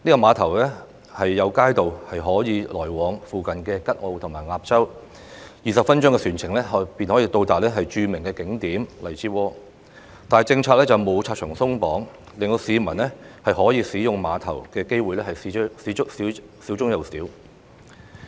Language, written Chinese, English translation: Cantonese, 碼頭有街渡可以往來附近的吉澳和鴨洲 ，20 分鐘的船程便可以到達著名景點荔枝窩，但政策上卻沒有拆牆鬆綁，令市民可以使用碼頭的機會少之又少。, The public may take a 20 - minute boat trip to the scenic spot at Lai Chi Wo but as the Government has not removed the policy barriers the chance for the public to make use of the pier has been greatly reduced